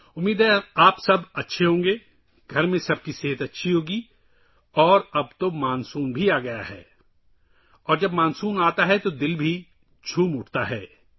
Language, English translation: Urdu, I hope all of you are well, all at home are keeping well… and now the monsoon has also arrived… When the monsoon arrives, the mind also gets delighted